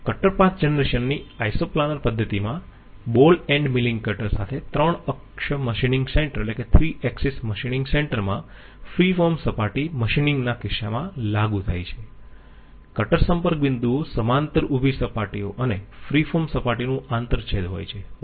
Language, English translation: Gujarati, In the iso planar method of cutter path generation applied in case of free form surface machining in 3 axis machining centre with ball ended milling cutter, the cutter contact points are the intersection of parallel vertical planes and the free form surface